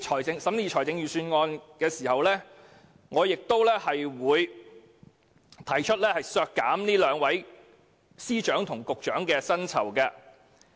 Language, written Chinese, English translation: Cantonese, 在審議預算案時，我將會提出削減這兩位司局長的薪酬。, During the scrutiny of the Budget I will propose docking their emoluments